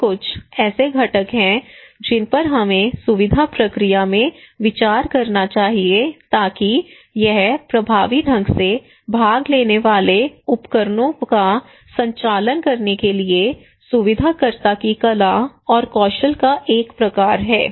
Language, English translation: Hindi, These are some of the components we should consider in the facilitation process so it is a kind of art and skill of the facilitator to conduct effectively participatory tools